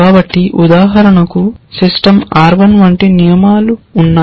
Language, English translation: Telugu, So, for example, the system R 1 had rules like